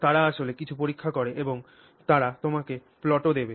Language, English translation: Bengali, They would have actually done some test and they will even give you plots